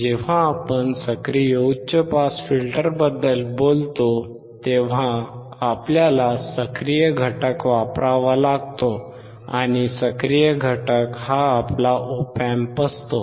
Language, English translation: Marathi, When we talk about active high pass filter, we have to use active component, and active component is nothing but our Op Amp